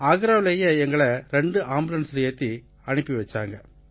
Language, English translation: Tamil, The Agra Doctors provided us with two ambulances